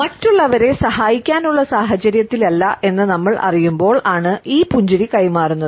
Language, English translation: Malayalam, This smile is passed on when we know that we are not in a situation to help the other people